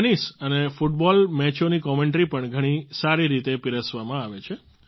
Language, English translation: Gujarati, The commentary for tennis and football matches is also very well presented